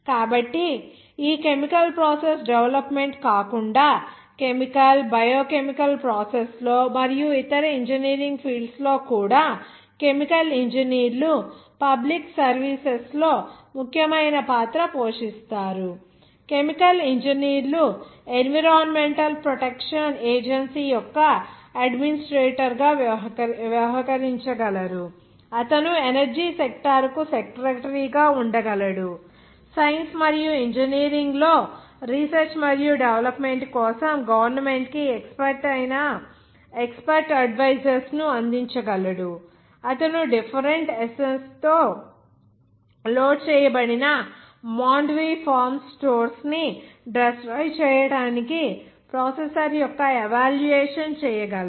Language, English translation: Telugu, So other than this chemical process development even roll in chemical biochemical process even in other engineering field chemical engineers can play an important role in public services also like: chemical engineers can act as an administrator of environmental protection agency, he can be a secretary of energy sector, he can provide expert advice to the government for the research and development in science and engineering he can act as an evaluator of processor for destroying stores of Mandvi forms loaded with different essence